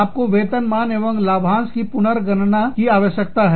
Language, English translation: Hindi, You are need to recalculate, benefits and compensation